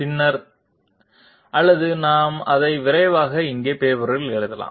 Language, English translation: Tamil, Later on or we can quickly write it down here on the on paper